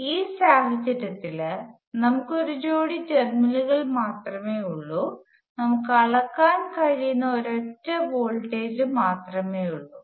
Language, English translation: Malayalam, In this case, we have only one pair of terminals and we have just a single voltage that can be measured